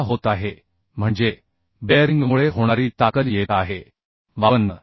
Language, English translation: Marathi, That means the strength due to bearing is coming 52